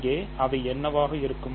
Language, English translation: Tamil, What would be things here